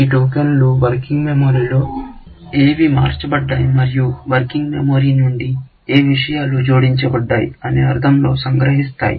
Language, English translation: Telugu, These tokens capture what has changed in the working memory; which things have been removed from the working memory; what things have been added to the working memory